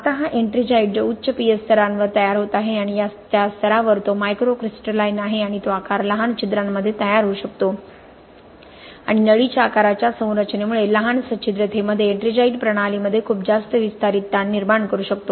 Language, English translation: Marathi, Now this ettringite which is forming at high pH levels okay and that level it is microcrystalline and that size can start forming in small pores and because of the tubular structure that ettringite has such ettringite in smaller porosity when it imbibes more water can lead to a lot more expansive stresses in the system